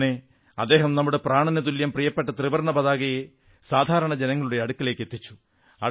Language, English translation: Malayalam, Thus, he brought our beloved tricolor closer to the commonman